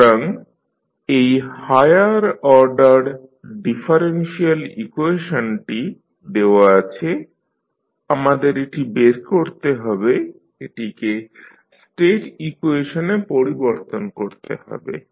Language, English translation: Bengali, So, this is the higher order differential equation is given we need to find this, we need to convert it into the state equations